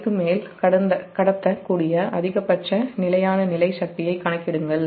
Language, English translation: Tamil, calculate the maximum steady state power that can be transmitted over the line